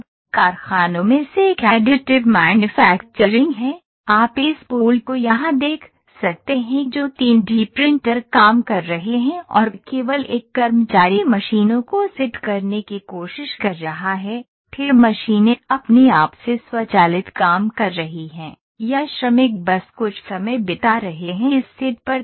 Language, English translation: Hindi, Now, one of the factories is this is additive manufacturing, you can see this pool here that is 3D printers are working and only one worker is trying to set the machines than the machines as an automated work by themselves, or workers is just spending some time on this set up